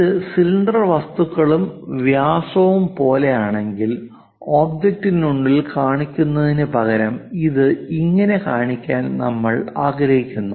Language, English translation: Malayalam, If it is something like cylindrical objects and diameter we would like to show instead of showing within the object this is wrong practice